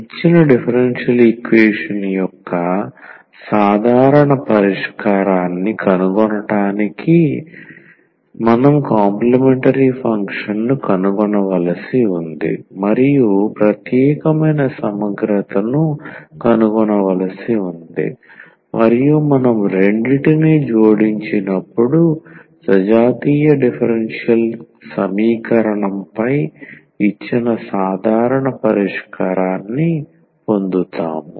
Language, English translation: Telugu, And also we have discussed already that to find the general solution of a given a differential equation, we need to find the complementary function and we need to find the particular integral and when we add the two, we will get the general solution of the given on homogeneous differential equation